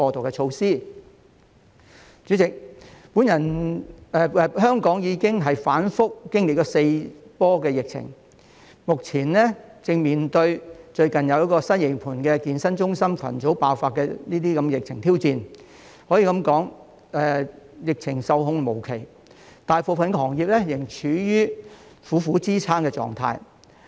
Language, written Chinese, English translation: Cantonese, 代理主席，香港已經反覆經歷四波疫情，目前正面對最近西營盤健身中心群組爆發的疫情挑戰，可以說疫情受控無期，大部分行業仍處於苦苦支撐的狀態。, Deputy President Hong Kong has gone through four waves of outbreaks and is currently facing the challenge of the recent outbreak of the Sai Ying Pun gym cluster . There is still a long way to go before the epidemic comes under control . The majority of industries are still struggling